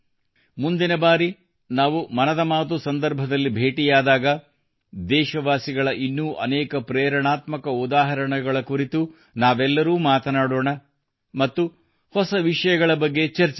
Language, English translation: Kannada, Next time when we meet in Mann Ki Baat, we will talk about many more inspiring examples of countrymen and discuss new topics